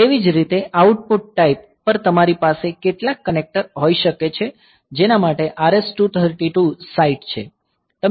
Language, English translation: Gujarati, Similarly, on the output type you can have some connector to which this is RS232 site